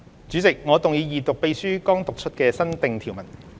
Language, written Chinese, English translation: Cantonese, 主席，我動議二讀秘書剛讀出的新訂條文。, Chairman I move the Second Reading of the new clauses just read out by the Clerk